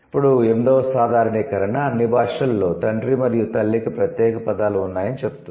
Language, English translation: Telugu, Then the eight generalization says, there are, in all languages, there are separate words for father and mother, and I told you already